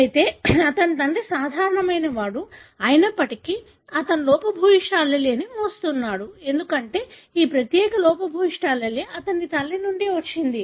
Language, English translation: Telugu, However his father is normal, though he is carrying the defective allele, because this particular defective allele has come from his mother